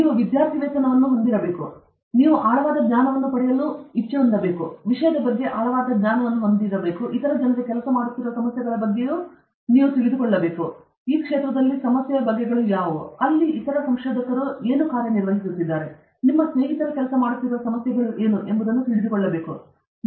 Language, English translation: Kannada, You should you should have scholarship; that means, you should have a deep knowledge; you should have a deep knowledge about your subject; you should also have a good knowledge of what are the problems other people are working in; what are the kinds of problem in this field, where other researchers are working; you should know what are the problems your friends are working on that is the scholarship